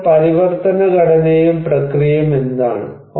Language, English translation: Malayalam, So, what are the transformation structure and process